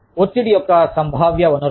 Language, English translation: Telugu, Potential sources of stress